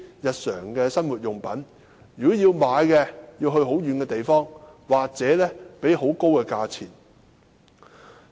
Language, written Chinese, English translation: Cantonese, 如要購買日用品，便要到很遠的地方或支付高價。, Residents thus have to travel a long distance or pay high prices when they have to buy daily necessities